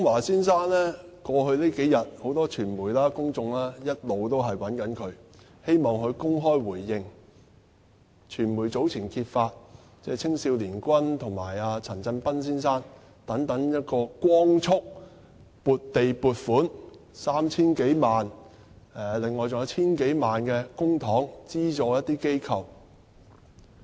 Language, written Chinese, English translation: Cantonese, 在過去數天，很多傳媒和公眾一直也在找劉江華先生，希望他公開作出回應，因為傳媒早前揭發青少年軍和陳振彬先生等人獲光速撥地和獲撥款 3,000 多萬元，另外當局還用了 1,000 多萬元公帑資助一些機構。, Over the past couple of days many members of the media and the public have been looking for Mr LAU Kong - wah in the hope that he can give a response in public because the media has earlier revealed that the Hong Kong Army Cadets Association Limited Mr Bunny CHAN and so on have been allocated land and more than 30 million at lightning speed . Furthermore more than 10 million has been spent on subsidizing some organizations . As the saying goes if the upper beam is not straight the lower ones will go aslant